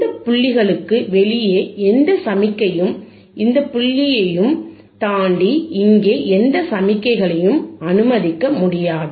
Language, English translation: Tamil, aAny signal outside these points means withbeyond this point, and this point, no signal here can be allowed